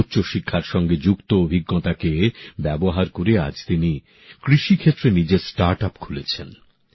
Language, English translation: Bengali, He is now using his experience of higher education by launching his own startup in agriculture